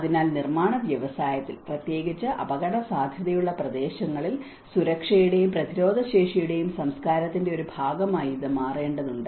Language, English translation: Malayalam, So, it has to become an essential part of culture of safety and resilience in the construction industry, especially in the hazard prone areas